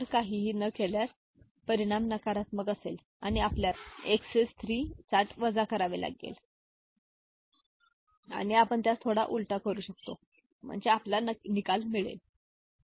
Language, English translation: Marathi, If no carry, result is negative and we have to subtract 3 for XS 3 and we can invert the bit we get the result, ok